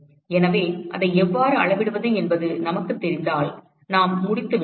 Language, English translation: Tamil, So, if we know how to quantify that then we are done